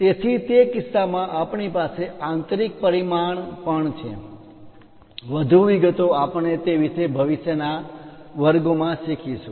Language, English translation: Gujarati, So, in that case we have inside dimension also, more details we will learn about that in the future classes